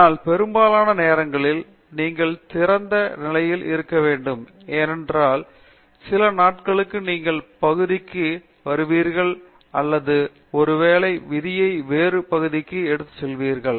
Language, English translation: Tamil, But, most of the times you have to be open enough because maybe some other day you will come back to the area or maybe destiny will take you to some other area